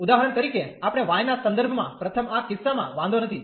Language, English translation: Gujarati, For example, we could do with respect to y first does not matter in this case